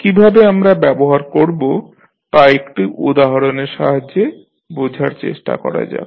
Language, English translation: Bengali, Let us try to understand how we will apply this particular rule with the help of one example